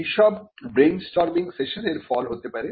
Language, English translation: Bengali, They may result from brainstorming sessions